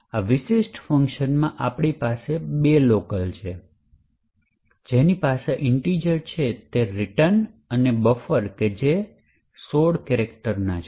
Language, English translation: Gujarati, So, in this particular function we have two locals we have pointer to an integer which is known as RET and a buffer which is of 16 characters